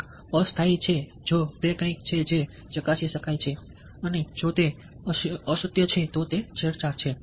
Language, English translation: Gujarati, one is temporary if it is something which can be verified and if it is the untruth, then it is manipulation